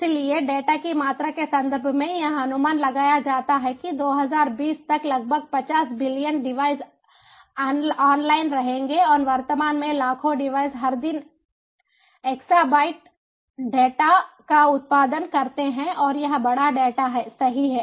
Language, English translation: Hindi, so, in terms of the data volume, it is estimated that by twenty, twenty, about fifty billion devices will be online, and presently billions of devices produce exabytes of data every day